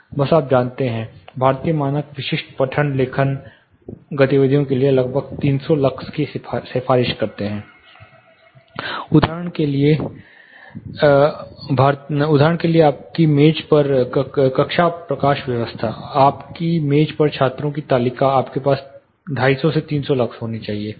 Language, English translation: Hindi, Simply you know Indian standards for example, recommends around 300 lux for typical reading writing activities say classroom lighting on your desk, on your table students table you should have a around 250 to 300 lux